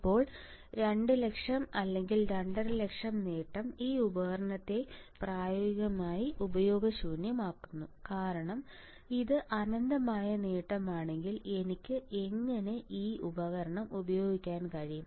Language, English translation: Malayalam, Now, a gain of 200,000 or 250,000 makes this device practically useless right because if it is infinite gain, then how can I use this device